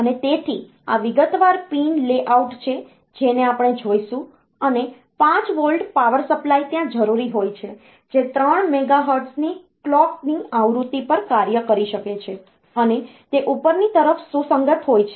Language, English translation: Gujarati, And so, this is detailed pin layouts we will see, 5 volt power supply is required can operate at a clock frequency of 3 megahertz, and it is upward compatible